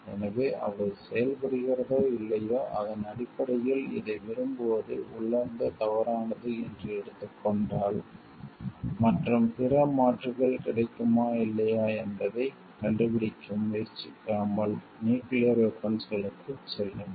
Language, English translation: Tamil, So, whether they are operant or not and so, based on that this is taken to be and intrinsically wrong to like, go for nuclear weapons and without trying to find out maybe if other alternatives are available or not